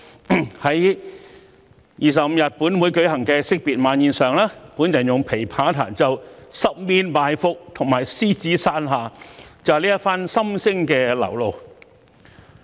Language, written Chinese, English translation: Cantonese, 在本月25日本會舉行的惜別晚宴上，我用琵琶彈奏《十面埋伏》和《獅子山下》，就是這番心聲的流露。, The two pieces of music that I played with lute at our End - of - term Dinner on 25th night this month Ambush from All Sides and Under the Lion Rock are the expression of my feelings